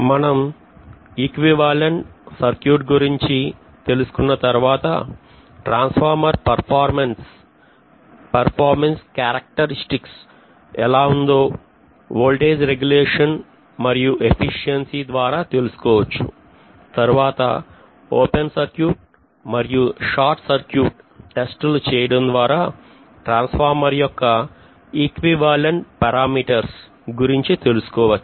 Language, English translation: Telugu, Once we have the equivalent circuit derived we should be able to really talk about the performance characteristics of the transformers like voltage regulation and efficiency, these two we will be talking about and after that we will be looking at actually open circuit and short circuit test or testing of transformers from which actually we derive the equivalent circuit parameters